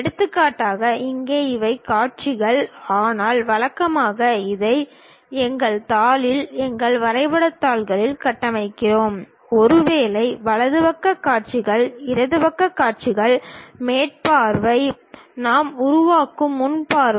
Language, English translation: Tamil, For example here these are the views, but usually we construct it on sheet, our drawing sheets; perhaps right side views, left side views, top view, front view we construct